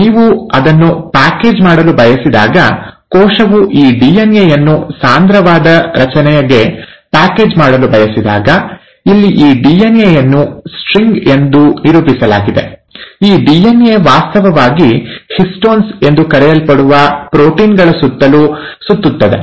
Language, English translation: Kannada, When you want to package it, when the cell wants to package this DNA into a compact structure, this DNA, here it's represented as a string, actually winds around a set of proteins called as the ‘Histones’